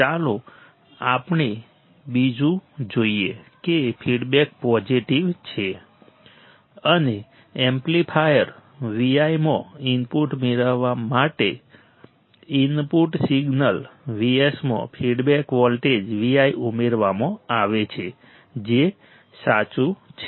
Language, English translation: Gujarati, Let us see another one the feedback is positive, and the feedback voltage V t is added to the input signal V s to get the input to the amplifier Vi which is correct